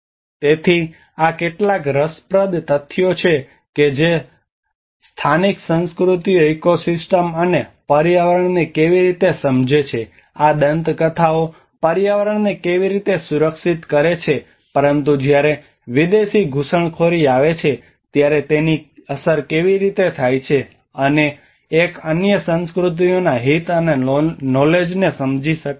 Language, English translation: Gujarati, So these are some of the interesting facts that how local cultures understand the ecosystem and the environment, how these myths also protect the environment but when the foreign intrusions comes, how they get impacted, and one do not understand the other cultures interest and knowledge